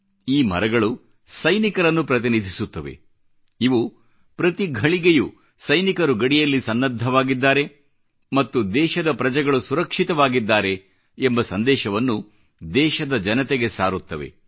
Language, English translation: Kannada, These trees represent soldiers and send a reassuring message to the country's citizens that our soldiers vigilantly guard borders round the clock and that they, the citizens are safe